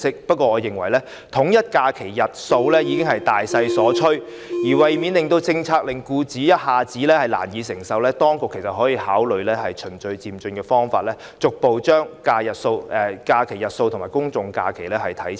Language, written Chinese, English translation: Cantonese, 但是，我認為統一假期的日數已是大勢所趨，為免政策令僱主一下子難以承受，當局可以考慮以循序漸進方式，逐步把法定假日和公眾假期的日數看齊。, Yet I think that aligning the number of holidays is a general trend . In order that employers will not find it difficult to accept the policy the authorities can consider taking forward the policy in a progressive manner and gradually align the number of statutory holidays and general holidays